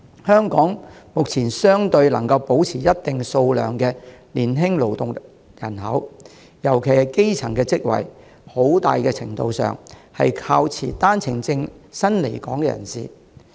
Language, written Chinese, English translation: Cantonese, 香港目前能保持一定數量的年輕勞動人口投入生產，特別是從事基層職位，很大程度上是靠持單程證來港人士的補充。, It is largely due to the replenishment from OWP holding new arrivals that Hong Kong can now maintain the productive young labour force at a reasonable size especially at the grass - roots level